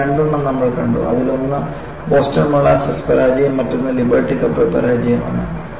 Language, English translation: Malayalam, Of the four, we have been able to see two of them; one is the Boston molasses failure; another is a liberty ship failure